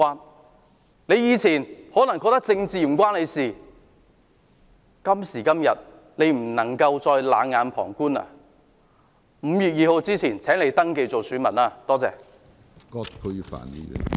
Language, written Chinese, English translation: Cantonese, 大家以前可能覺得政治與自己無關，但今天不能再冷眼旁觀，請在5月2日前登記做選民，多謝。, While you might feel politics had nothing to do with you in the past you should no longer look on with cold indifference today . Please register as an elector by 2 May . Thank you